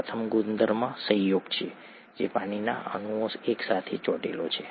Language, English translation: Gujarati, The first property is adhesion which is water molecules sticking together